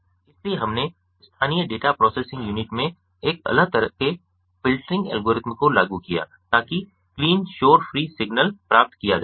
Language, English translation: Hindi, so we implemented different kinds of filtering algorithms in the local data processing unit to obtain a clean, noise free signal